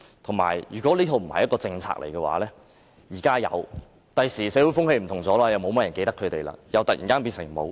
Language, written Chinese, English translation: Cantonese, 況且，如果這並非一套政策，現時有，日後社會風氣不同，沒有太多人記得他們，又會突然變成沒有。, Besides if it is a tentative arrangement and no policy is put in place properly then if the overall social climate changes drastically in future no one will remember them and hence this arrangement will vanish